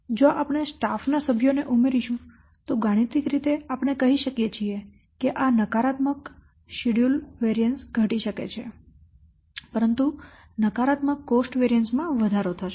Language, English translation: Gujarati, So if you will add staff members then mathematically we can say that this negative schedule variance it may be reduced but at the cost of increasing a negative cost variance CV